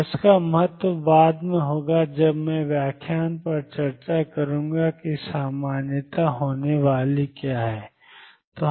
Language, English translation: Hindi, And this will have significance later when I will discuss on interpretation normality is going to be